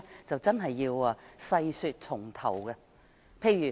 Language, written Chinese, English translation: Cantonese, 這真的要從頭細說。, It is really a long story